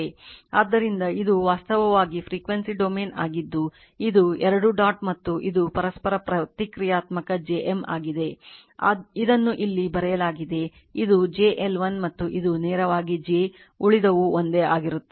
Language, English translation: Kannada, So, whenever this is in this is what you coil and this is actually frequency domain that is this is 2 dot and this is a mutual reactance j omega M which is written here, this is j omega L 1 and this is directly j omega L 2rest are same right